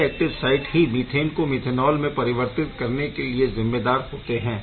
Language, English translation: Hindi, We will see that the active site right over here is responsible for converting methane to methanol today ok